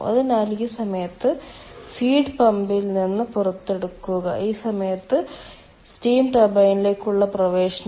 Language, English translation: Malayalam, so this point, exit of heat pump, and this point, entry to steam turbine